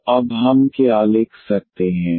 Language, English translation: Hindi, So, what we can write down now